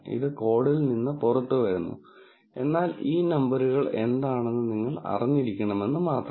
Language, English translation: Malayalam, This comes out of the code, but just so that you know, what these numbers are